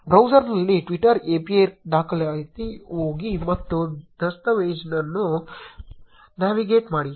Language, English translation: Kannada, Go to twitter API documentation in a browser and navigate to the documentation